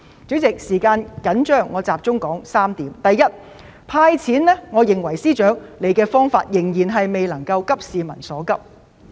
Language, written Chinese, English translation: Cantonese, 主席，由於時間緊張，我想集中提出3點：第一，我認為司長"派錢"的方法，未能做到急市民所急。, President due to time constraints I would like to focus on three points . First I think the Financial Secretarys approach to disburse cash fails to address peoples pressing needs